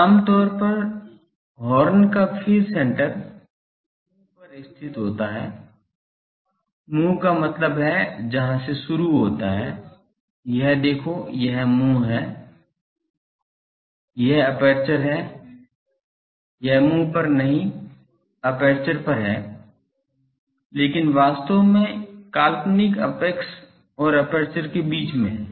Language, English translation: Hindi, Usually the phase center of the horn is not located at it is mouth; mouth means where from it starts this is look at this is the mouth this is the aperture it is not at the mouth not at the aperture, but actually between the imaginary apex and aperture